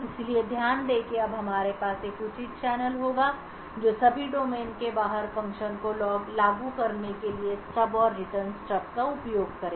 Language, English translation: Hindi, So, note that we would now have a proper channel using the stub and return steb to invoke functions outside of all domain